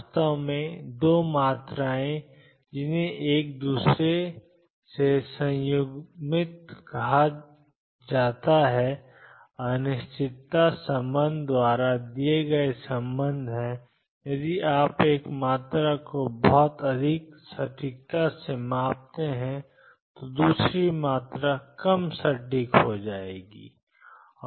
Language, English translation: Hindi, In fact, 2 quantities which are called conjugate to each other have a relationship given by uncertainty relation if you measure one quantity to very high accuracy the other quantity becomes less accurate